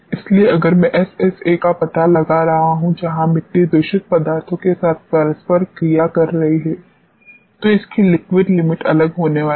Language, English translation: Hindi, So, if I am finding out SSA, where the soil is interacting with contaminant its liquid limit is going to be different